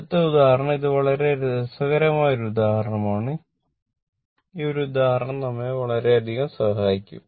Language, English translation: Malayalam, So, next example, we will take this one this is a very interesting example look one example will help you a lot